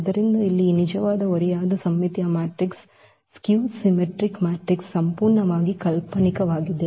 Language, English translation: Kannada, So, here this real a skew symmetric matrix are purely imaginary